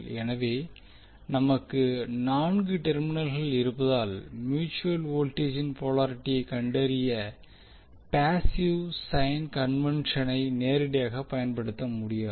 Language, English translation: Tamil, So since we have four terminals we cannot use the passive sign convention directly to find out the polarity of mutual voltage